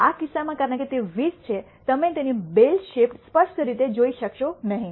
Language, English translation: Gujarati, In this case because it is 20, you are not able to clearly see its bell shaped